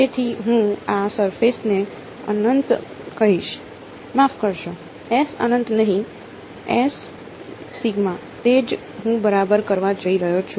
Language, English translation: Gujarati, So, I will call this surface to be S infinity sorry, not S infinity S epsilon that is what I am going to do ok